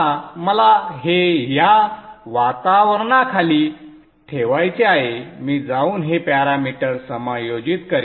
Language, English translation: Marathi, Now what I would like to do is with from this environment I will go and adjust these parameters